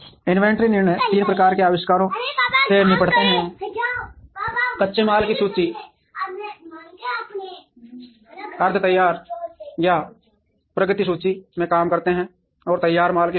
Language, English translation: Hindi, Inventory decisions deal with three types of inventories, raw material inventory, semi finished or work in progress inventory, and finished goods inventory